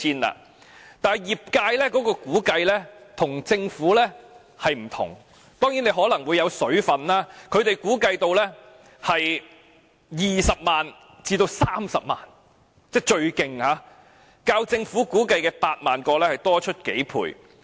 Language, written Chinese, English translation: Cantonese, 可是，業界的估計與政府有異——當然，當中可能包含"水分"——他們估計最多涉及20萬至30萬個龕位，較政府估計的8萬個多出數倍。, Nevertheless the number of unlicensed niches estimated by the trade is different from that of the Government and it may well be inflated . The trade estimated that as many as 200 000 to 300 000 niches may be affected which is a few times more than the number of 80 000 estimated by the Government